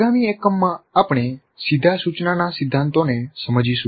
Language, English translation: Gujarati, And in the next unit we will understand the principles of direct instruction